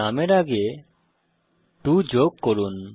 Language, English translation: Bengali, Add a number 2 before the name